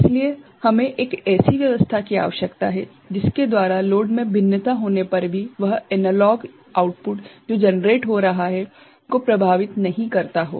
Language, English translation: Hindi, So, we need to have a have an arrangement by which the variation in the load should not affect the analog output that is getting generated